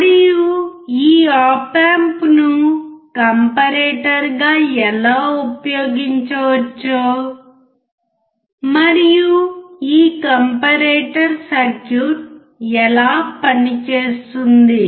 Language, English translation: Telugu, And we will see how this op amp can be used as a comparator and how this comparator circuit works